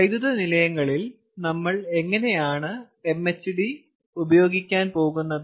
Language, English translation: Malayalam, how are we going to use mhd in power plants